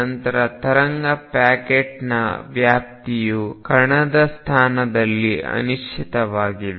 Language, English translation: Kannada, Then the extent of wave packet is the uncertainty in the position of the particle